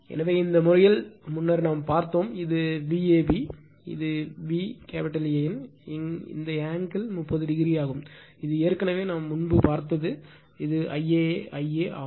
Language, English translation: Tamil, So, in this case , earlier we have seen this is V a b this is your V a n; this angle is 30 degree this is already we have seen before and this is I a right